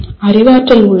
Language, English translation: Tamil, There is cognitive